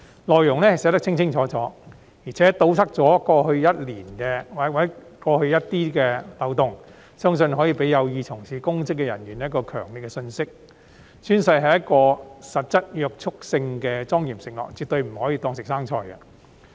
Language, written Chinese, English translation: Cantonese, 內容寫得十分清楚，堵塞了過去的漏洞，相信可以給有意從事公職的人士一個強烈的信息：宣誓是具實質約束性的莊嚴承諾，絕對不可以當作"食生菜"。, With very clearly written content the loopholes of the past are plugged . I believe the Bill can deliver a strong message to those who want to engage in public office oath - taking is a solemn pledge with substantive binding effect and oath takers definitely should not take the oath untruthfully